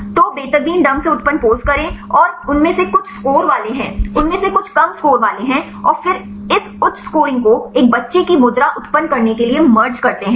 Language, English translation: Hindi, So, take randomly generated poses some of them are having high score, some of them are having low score and then merge this high scoring to generate a child pose